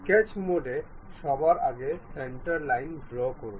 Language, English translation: Bengali, In the sketch mode, first of all draw a centre line